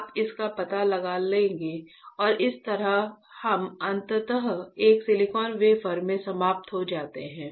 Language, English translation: Hindi, You will find it out and that is how we finally end up in a having a silicon wafer